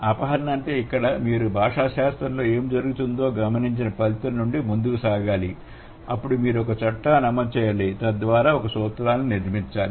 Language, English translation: Telugu, So, abduction here means you have to proceed from an observed result, what is happening in the linguistic entrainment, then you have to invoke or law, that means you have to build a principle